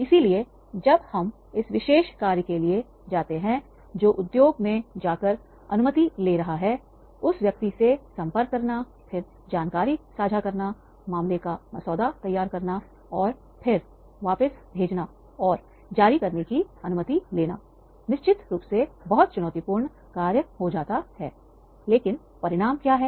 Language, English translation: Hindi, So, when we go for this particular Herculeus task, that is taking the permission, visiting to the industry, contacting that person, then sharing of the information, the drafting of the case and then sending back and taking permission to release, then definitely it is this becomes a very, very challenging task